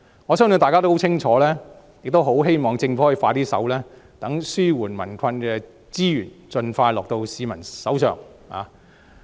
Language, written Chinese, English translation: Cantonese, 我相信大家的訴求很清楚，亦很希望政府可以加快處理，讓紓解民困的資源可以盡快交到市民手中。, I believe that the peoples aspiration is very clear and I very much hope that the Government can speed up the process in order to deliver the resources for relieving the hardships of the people to them as soon as practicable